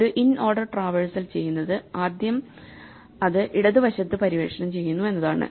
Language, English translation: Malayalam, So, what an inorder traversal does is that it first explores the left side